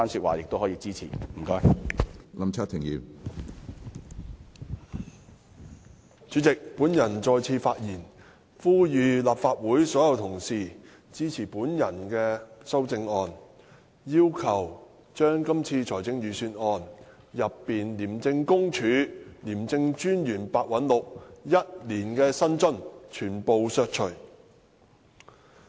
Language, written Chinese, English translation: Cantonese, 主席，我再次起來發言，是為了呼籲立法會全體議員支持我建議在本年度財政預算案中削減廉政公署廉政專員白韞六全年薪津開支的修正案。, Chairman I rise to speak again with the purpose of calling upon all Members to support my amendment proposing to cut the personal emoluments of the Commissioner of the Independent Commission Against Corruption ICAC Simon PEH from the estimated annual expenditure of ICAC set out in this years Budget